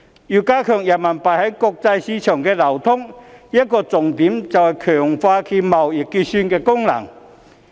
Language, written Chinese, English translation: Cantonese, 要加強人民幣在國際市場的流通，一個重點是強化其貿易結算功能。, Strengthening the trade settlement function of RMB is a key point in enhancing its circulation in the international market